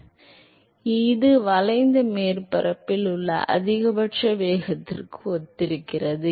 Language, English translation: Tamil, So, there will be a; this corresponds to the maximum velocity along the curved surface